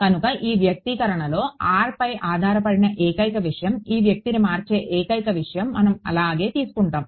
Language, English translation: Telugu, So, that we will remain the same the only thing that is changing the only thing that depends on r in this expression is this guy